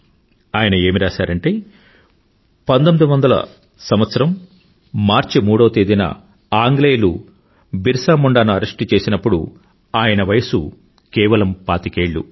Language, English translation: Telugu, He has written that on the 3rd of March, 1900, the British arrested BirsaMunda, when he was just 25 years old